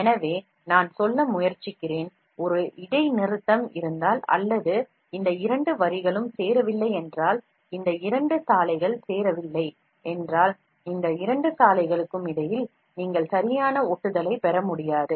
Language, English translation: Tamil, So, what I am trying to say is, if there is a discontinuity or if these two lines do not join, if these two roads do not join, then you will not be able to get a proper adhesion between these two roads